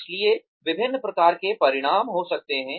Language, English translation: Hindi, So, various types of outcomes could be there